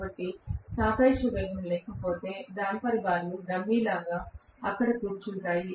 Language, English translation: Telugu, So, if there is no relative velocity the damper bars are just sitting there like a dummy